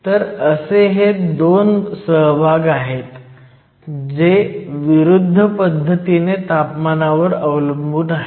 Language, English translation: Marathi, So, we have two contributions both of which have an opposite dependence on temperature